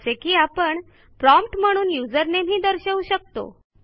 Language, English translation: Marathi, Like we may display our username at the prompt